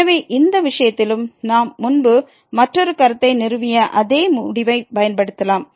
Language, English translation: Tamil, So, in this case also we can apply the same result what we have established earlier another remark